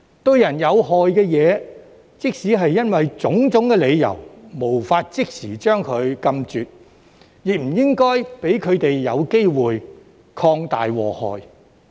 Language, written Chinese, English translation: Cantonese, 對人有害的東西，即使因種種理由無法即時將它禁絕，亦不應讓它有機會擴大禍害。, When it comes to something which is harmful to people even if we cannot put it under a total ban immediately due to various reasons we should not leave an opportunity for it to do more harm